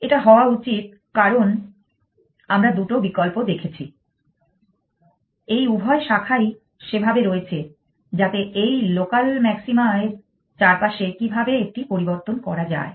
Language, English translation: Bengali, It should be because we have kept two options both these branches are there so that one variation of how to get around this local maximum